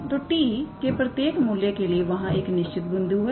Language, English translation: Hindi, So, for every value of t, there corresponds a definite point